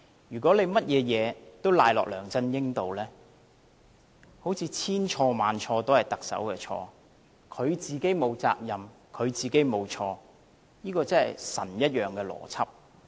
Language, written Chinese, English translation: Cantonese, 如果他把甚麼事都推到梁振英身上，好像千錯萬錯，都是特首的錯，他自己沒有責任，他自己沒有錯，這個真是神一樣的邏輯。, He blames LEUNG Chun - ying for everything as if a million faults are all the Chief Executives own making . He is not at fault and he has made no mistake . This is certainly some mighty logic